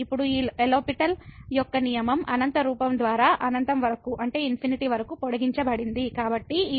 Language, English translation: Telugu, So, now the extension of this L’Hospital’s rule to the infinity by infinity form